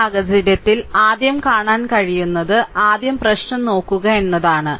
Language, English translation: Malayalam, So, in this case, what will what you can see is first look at the problem